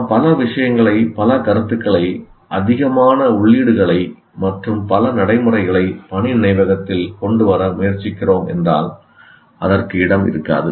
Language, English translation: Tamil, If we are tried to bring too many things, too many concepts, too many inputs, and too many procedures to the working memory, it won't have space